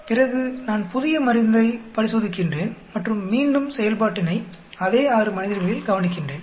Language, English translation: Tamil, Then, I am testing the new drug and I am seeing again the effect on the same 6